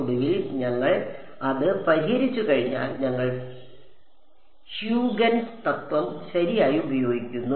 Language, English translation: Malayalam, And we finally, once we solve for it we use the Huygens principle right